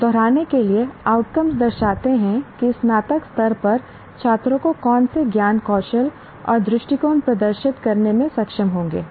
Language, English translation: Hindi, Now to repeat, outcomes represent what knowledge, skills and attitude students will be able to demonstrate at the time of graduation